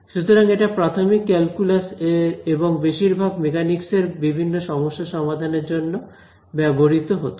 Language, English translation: Bengali, So, that is early calculus and mostly for mechanics problems